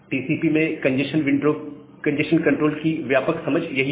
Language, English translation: Hindi, So that is the broad idea of congestion control in TCP